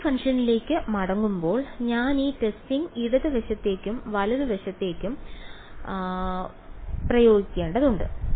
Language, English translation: Malayalam, Getting back to the testing function, I have to take the apply this testing to both the left hand side and the right hand side right